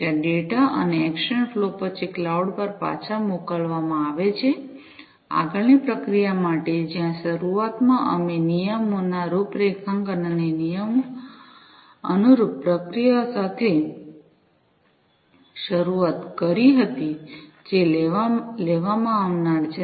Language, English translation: Gujarati, There after the data and the action flow are sent back to the cloud, for further processing, where initially we had started with the configuration of the rules and the corresponding actions, that are going to be taken